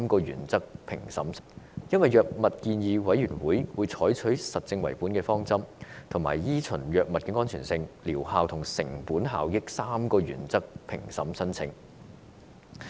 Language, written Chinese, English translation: Cantonese, 因為，藥物建議委員會採取實證為本的方針，以及依循藥物安全性、療效和成本效益3個原則評審申請。, This is because the Drug Advisory Committee has all along adopted an evidence - based approach and followed the three principles of safety efficacy and cost - effectiveness in appraising a new drug